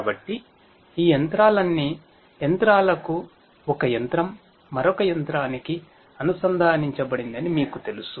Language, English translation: Telugu, So, all these machinery to machinery you know one machine connected to another machine and so on